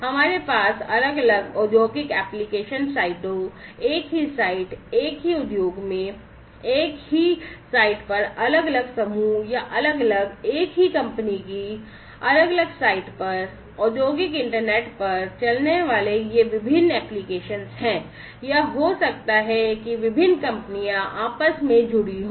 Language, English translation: Hindi, We have these different applications running on the industrial internet, using the industrial internet in different industrial application sites, same site, same site in the same industry different groups or different, different sites of the same company or it could be that different companies are interconnected together